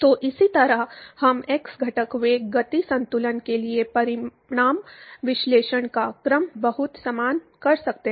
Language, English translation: Hindi, So, similarly we can do an order of magnitude analysis for the x component velocity momentum balance is very similar